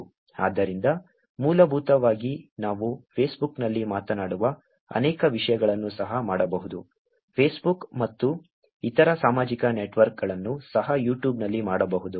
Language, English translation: Kannada, So, essentially many things that we be talked about on Facebook can also to be done, Facebook and other social networks, can also be done on YouTube